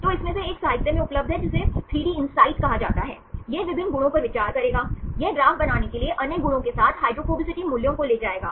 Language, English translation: Hindi, So, one of this is available in the literature, that is called 3DInsight, this will consider various properties, it will take the hydrophobicity values along with other properties to make a graph